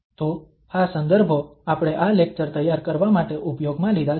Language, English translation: Gujarati, So these are the references we have used for preparing this lecture